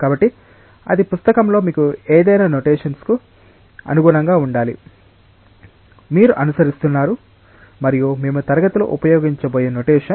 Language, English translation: Telugu, So, that should correspond to any symbolic notation that you will have in the book whatever book, you are following and whatever notation that we are going to use in the class